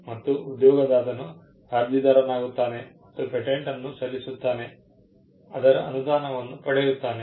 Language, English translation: Kannada, And the employer becomes the applicant and files the patent and gets a grant